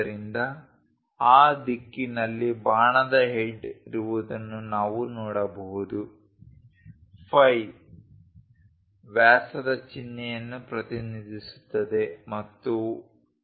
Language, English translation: Kannada, So, we can see there is a arrow head going in that direction, phi represents diameter symbol and 1